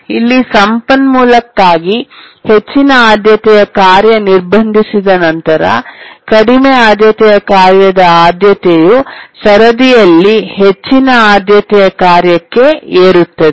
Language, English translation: Kannada, Here once the high priority task blocks for the resource, the low priority task's priority gets raised to the highest priority task in the queue